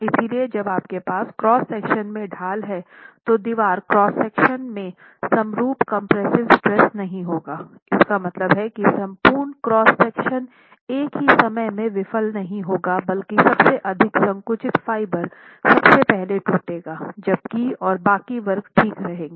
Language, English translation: Hindi, So, when you have a gradient in the cross section, then you have a gradient in the cross section, the wall cross section not being in uniform compression would mean that the entire cross section will not fail at the same instant, but most compressed fiber, the edge that is most compressed would crush first whereas the rest of the sections would have wouldn't have crushed yet